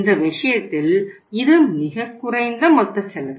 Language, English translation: Tamil, This is the least total cost